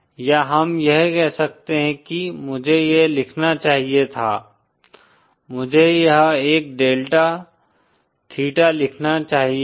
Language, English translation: Hindi, Or we can you know say that, I should I should have written this, I should have written this a delta theta